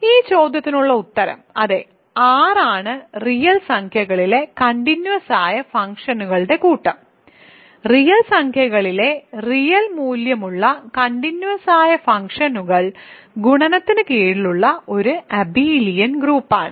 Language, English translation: Malayalam, So, the answer to this question is yes R the set of continuous functions on real numbers, real valued continuous functions on real numbers is an abelian group under multiplication